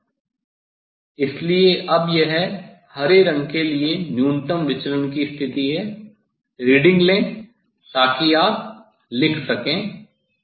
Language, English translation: Hindi, yes, so this is the position for the minimum deviation for green colours now, take the reading, so that you note down